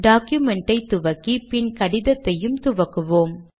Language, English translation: Tamil, We begin the document and then the letter